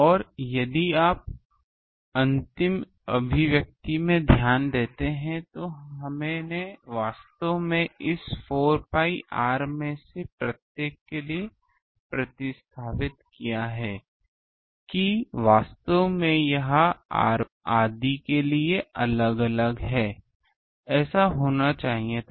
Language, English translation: Hindi, And if you notice in the last expression, we have substituted actually for each one this 4 pi r that actually it is different for different one for r 1 r 2 etc